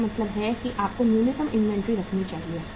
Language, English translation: Hindi, It means you have to keep the minimum inventory